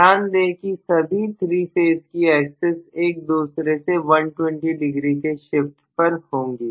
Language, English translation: Hindi, So please note that I am going to have basically all the 3 phase axis shifted from each other by 120 degree